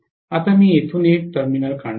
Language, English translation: Marathi, Now I am going to take out one terminal from here